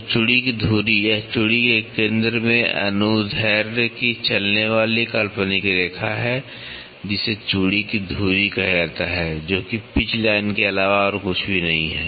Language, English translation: Hindi, So, axis of the thread, it is the imaginary line running of longitudinal throughout the centre of the thread is called as axis of thread, which is nothing but pitch line